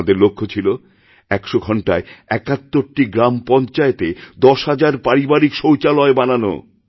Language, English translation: Bengali, To construct 10,000 household toilets in 71 gram panchayats in those hundred hours